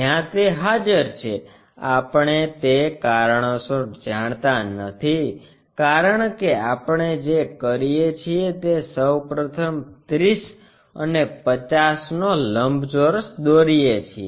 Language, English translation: Gujarati, Where it is present, we do not know because of that reason what we do is first of all draw a rectangle 30 and 50, so make 50